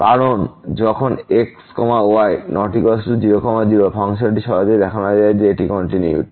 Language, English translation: Bengali, Because, when is not equal to , the function can be easily shown that this is continuous